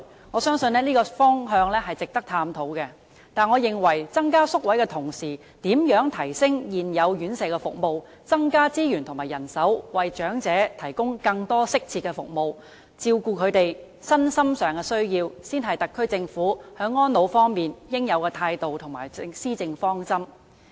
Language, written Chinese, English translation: Cantonese, 我相信這個方向是值得探討的，但我認為在增加宿位的同時，如何提升現有的院舍服務，增加資源和人手，為長者提供更多適切的服務，照顧他們的身心需要，才是特區政府在安老方面的應有態度和施政方針。, I believe this direction is worthy of exploration but I think that while we seek to increase the number of RCHE places we should also consider how to enhance the existing institutional care services increase resources and manpower and provide more appropriate services to the elderly to cater for their physical and mental needs . This is the attitude and policy objective which the Special Administrative Region Government should have in respect of elderly care